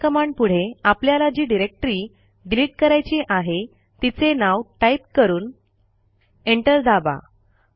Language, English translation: Marathi, Let us type rm and the directory that we want to delete which is testdir and press enter